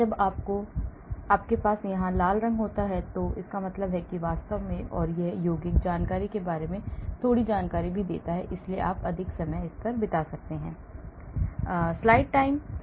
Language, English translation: Hindi, When you have the red colour here, it means that actually and it also gives a little bit information about the compound here information, so you can spend more time